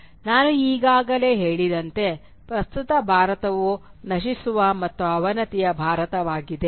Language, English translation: Kannada, Now the present India as I said is an India of decay and degeneration